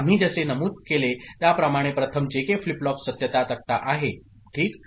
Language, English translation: Marathi, In the first place as we have mentioned so, JK flip flop truth table is it ok